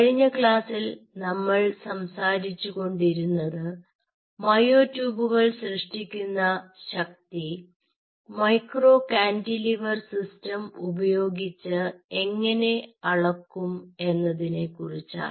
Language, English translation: Malayalam, so for last classes we have been talking about how we can measure using a micro cantilever system, how we can measure the force generated by the myotubes